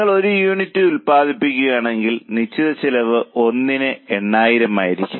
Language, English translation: Malayalam, If you just produce one unit, the fixed cost will be 80,000 upon 1